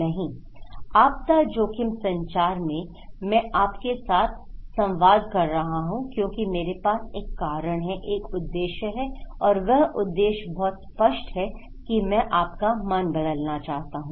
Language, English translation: Hindi, No, in disaster risk communications I am communicating with you because I have a reason, a purpose and the purpose is very clear that I want to change your mind okay